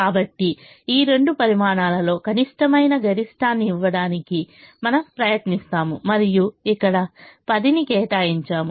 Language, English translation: Telugu, so we try to give the maximum, which is the minimum of these two quantities, and we allocate a ten here